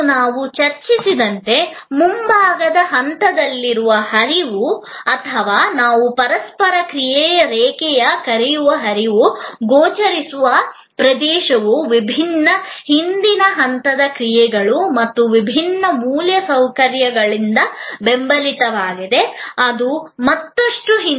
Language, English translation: Kannada, And as we have discussed, the flow which is in the front stage or what we call above the line of interaction, which is visible area is supported by different back stage actions and different infrastructure, which are even at the further back end